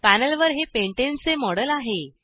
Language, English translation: Marathi, This is a model of pentane on the panel